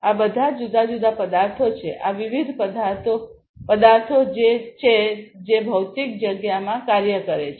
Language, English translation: Gujarati, All of these are different objects these are different objects that work in the physical space